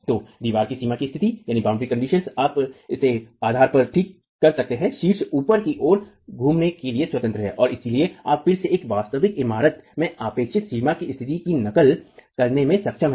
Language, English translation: Hindi, So the wall has boundary conditions, you can fix it at the base, the top is free to rotate and so you again are able to mimic the boundary conditions expected in a real building